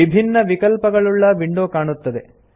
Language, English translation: Kannada, The window comprising different options appears